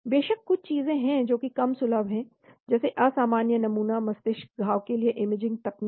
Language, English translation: Hindi, Of course there are things like less accessible, infrequent sampling: imaging techniques for brain lesion